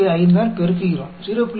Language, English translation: Tamil, So, this is equal to 0